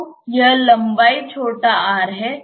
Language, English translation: Hindi, So, this length is what small r